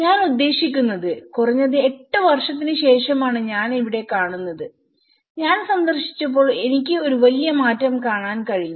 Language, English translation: Malayalam, I mean, I can see here at least after eight years, when I visited I could see a tremendous change